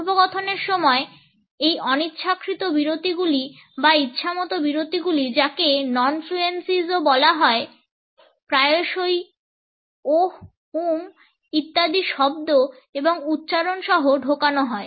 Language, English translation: Bengali, During a conversation those unintentional pauses those arbitrary pauses which are also called non fluencies are often inserted with sounds and utterances like ‘oh’, ‘uumm’ etcetera